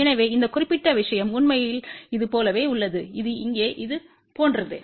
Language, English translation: Tamil, So, this particular thing is actually same as this which is same as this over here